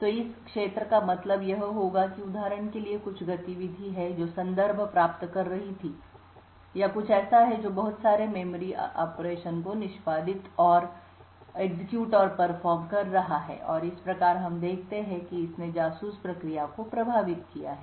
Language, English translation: Hindi, So this regions would mean that there is some activity for example another process that was getting context which or something like that which has been executing and performing a lot of memory operations and thus we see that it has affected the spy process